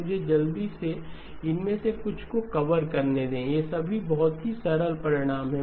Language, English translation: Hindi, Let me quickly cover a couple of, these are all very simple results